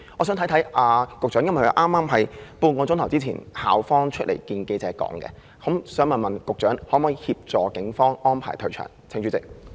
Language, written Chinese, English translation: Cantonese, 由於這是校方半小時前向記者交代的情況，我想問局長可否呼籲警方安排退場？, As it was the situation reported by the University at a press conference held half an hour ago I would like to ask the Secretary Will he call upon the Police to retreat?